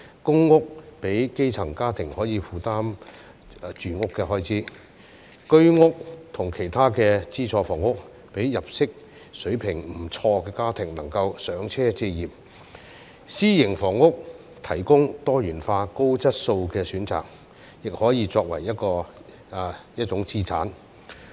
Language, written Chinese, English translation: Cantonese, 公屋讓基層家庭可以負擔住屋的開支；居屋及其他資助房屋讓入息水平不錯的家庭能夠"上車"置業；私營房屋提供多元化、高質素的選擇，亦可以作為一種資產。, Public housing provides grass - roots families with affordable housing . The Home Ownership Scheme HOS and other subsidized housing enable families with decent income to acquire their first properties and achieve home ownership . Private housing offers diverse and quality options which can also be regarded as an asset